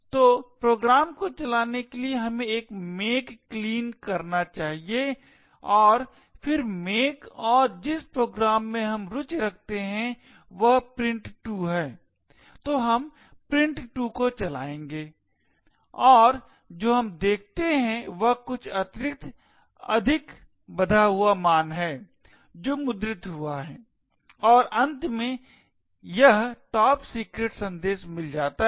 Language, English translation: Hindi, So to run the program we should do a make clean and then make and the program we are interested in is print2, so we will run print2 and what we see is some extra additional values that gets printed and finally we get this is a top secret message that gets displayed on to the screen